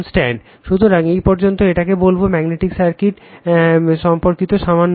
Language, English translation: Bengali, So, up to this, your what you call that you are regarding little bit on magnetic circuit